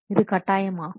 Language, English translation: Tamil, It is viable